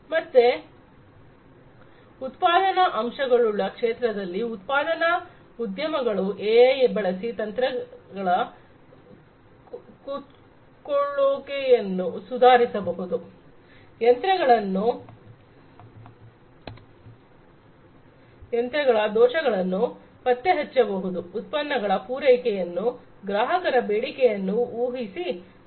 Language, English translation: Kannada, So, in the manufacturing factors sector, manufacturing industries AI could be used to improve machines power consumption, detection of machinery fault, maintaining product supply by predicting consumer demand